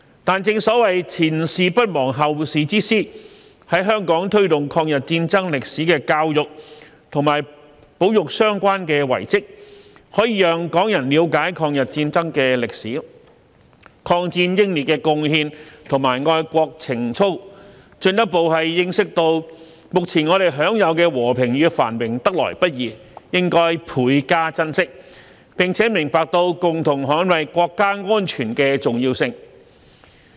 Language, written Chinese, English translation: Cantonese, 但正所謂"前事不忘，後事之師"，在香港推動抗日戰爭歷史的教育和保育相關遺蹟，可以讓港人了解抗日戰爭的歷史、抗戰英烈的貢獻和愛國情操，進一步認識到目前我們享有的和平與繁榮得來不易，應倍加珍惜，並明白到共同捍衞國家安全的重要性。, However as the saying goes The past not forgotten is a guide for the future . By promoting education on the history of the War of Resistance and conserving the relevant relics in Hong Kong we can enable Hong Kong people to have an understanding of the history of the War of Resistance as well as the contribution and patriotism of the war martyrs further realize that peace and prosperity enjoyed by us now are hard - won and should be treasured and understand the importance of joining hands to safeguard national security